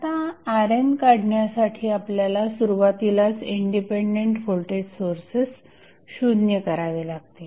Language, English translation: Marathi, Now, what we have to do to find R n, we have to first set the independent voltage sources equal to 0